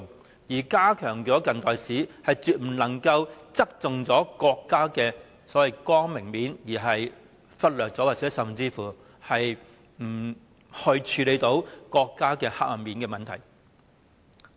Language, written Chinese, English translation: Cantonese, 此外，要加強近代史，亦絕不能夠只側重國家的光明面而忽略及不處理黑暗面。, Furthermore in enhancing the teaching of contemporary history we must not only talk about the bright side of the country and ignore or disregard the dark side